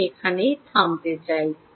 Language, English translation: Bengali, i would like to stop here